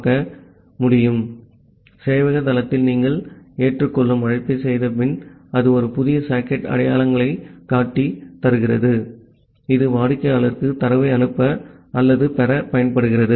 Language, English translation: Tamil, So, we have seen that after you are making an accept call at the server site, it returns a new socket identifier, which is used to send or receive data to the client